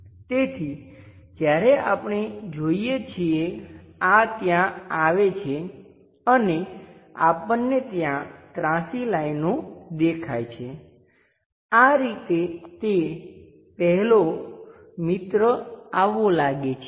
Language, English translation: Gujarati, So, when we are looking at that this one comes there and we start seeing some kind of inclined line there, this is the way at least it first friend it looks like